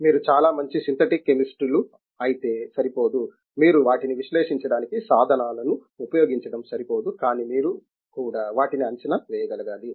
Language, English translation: Telugu, It is not enough if you are very good synthetic chemists, if it is not enough you can to make use of the tools to analyze them, but you should also be able to predict them